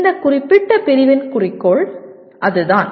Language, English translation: Tamil, That is the goal of this particular unit